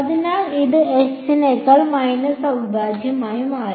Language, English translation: Malayalam, So, this became minus integral right over s